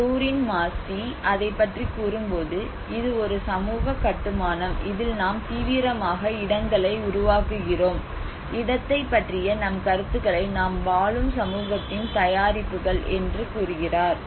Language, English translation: Tamil, So many geographers talk about place is a social construct, Doreen Massey talks about it is a social construct, and we actively make places and our ideas of place are products of the society in which we live